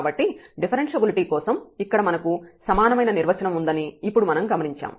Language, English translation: Telugu, So, we have observed now that for the differentiability we have the equivalent definition here